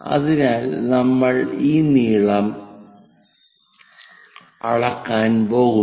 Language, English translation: Malayalam, So, that this length we are going to measure it